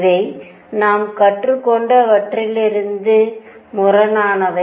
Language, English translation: Tamil, These are contradicting whatever we have learnt right